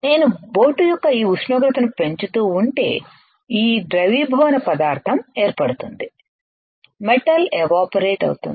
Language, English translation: Telugu, And this melting will cause the matter if I keep on increasing this temperature of the boat the metal will start evaporating